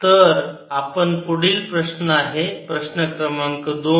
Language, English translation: Marathi, so our next question is question number two